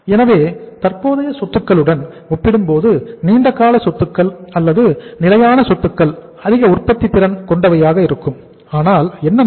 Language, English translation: Tamil, So it means long term assets or the fixed assets being more productive as compared to the current assets so what will happen